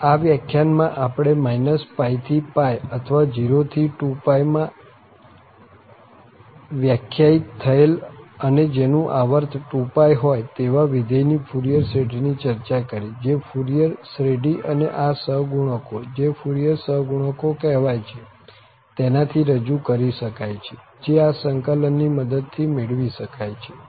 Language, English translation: Gujarati, So, what we have discussed in this lecture that the Fourier series of a function which is defining from minus pi to pi or 0 to 2 pi and it is periodic with period 2 pi then it can be represented by this Fourier series and these coefficients, so called the Fourier coefficients, can be evaluated with the help of these integrals